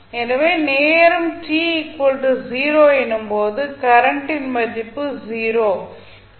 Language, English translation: Tamil, So, what is the value of current I at time t is equal to 0